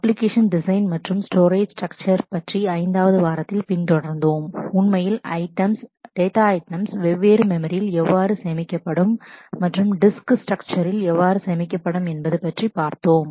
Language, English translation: Tamil, We followed up in week 5 with application design and discussing aspects of storage structure, how will actually the items, data items be stored in the different memory and disk structure